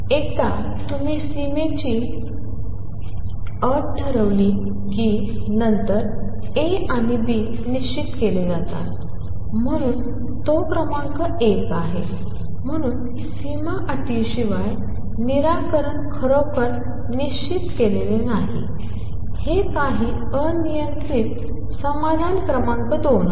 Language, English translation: Marathi, Once you set the boundary condition, then A and B are fixed; so that is number 1, so without a boundary condition, solution is not really fixed it is some arbitrary solution number 2